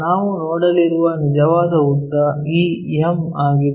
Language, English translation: Kannada, The true length what we might be going to see is this one m